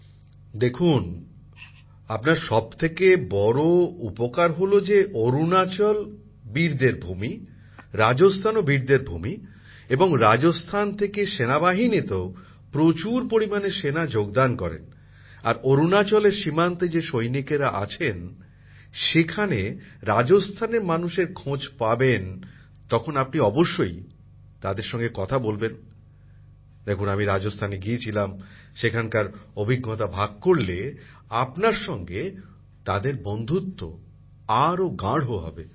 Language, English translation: Bengali, See, the biggest advantage you have got is thatArunachal is also a land of brave hearts, Rajasthan is also a land of brave hearts and there are a large number of people from Rajasthan in the army, and whenever you meet people from Rajasthan among the soldiers on the border in Arunachal, you can definitely speak with them, that you had gone to Rajasthan,… had such an experience…after that your closeness with them will increase instantly